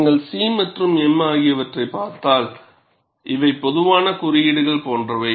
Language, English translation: Tamil, And if you look at C and m, these are like generic symbols